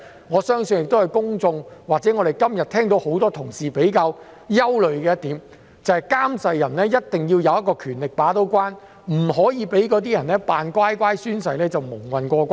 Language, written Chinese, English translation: Cantonese, 我相信這是公眾或很多同事今天比較憂慮的一點，他們認為監誓人必須有權把關，不可讓"扮乖乖"宣誓的人蒙混過關。, I believe this issue has caused considerable concern among the public or Members today as they hold that oath administrators should have the gate - keeping power to stop the well - behaved oath takers from muddling through